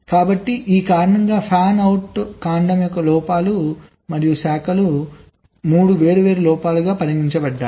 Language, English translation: Telugu, alright, so because of this, the faults of the fanout stem and the branches, they are considered as three different faults